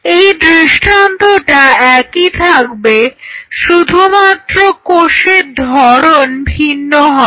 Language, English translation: Bengali, And this paradigm will remain the same only the cell type will vary